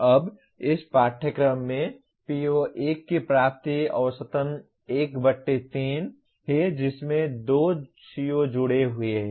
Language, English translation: Hindi, Now attainment of PO1 in this course is 1/3 into average of there are 2 COs that are associated